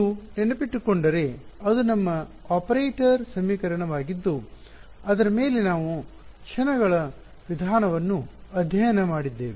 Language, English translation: Kannada, If you remember that was our operator equation on which we have studied the method of moments right